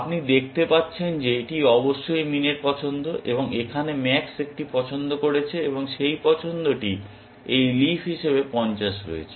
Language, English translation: Bengali, You can see that, this of course, is min’s choice and here max has made a choice, and that choice has 50 as this leaf